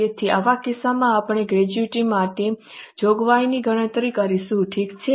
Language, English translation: Gujarati, So, in such case, we will calculate provision for gratuity